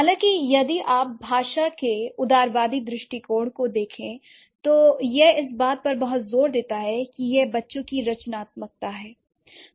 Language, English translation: Hindi, However, if you look at the generativist approach of language, it does give a lot of emphasis or it emphasizes on the creativity of children